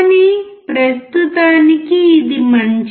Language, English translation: Telugu, But for now, it is fine